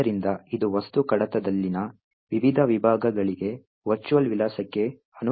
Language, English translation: Kannada, So, this corresponds to the virtual address for the various sections within the object file